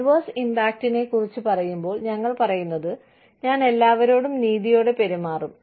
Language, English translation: Malayalam, When we talk about adverse impact, we are saying, i will treat everybody fairly